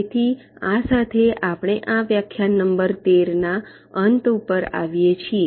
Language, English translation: Gujarati, so with this we come to the end of a, this lecture number thirteen